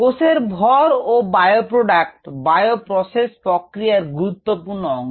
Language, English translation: Bengali, biomass, or cells and bio products, and these are the two important outcomes of any bio process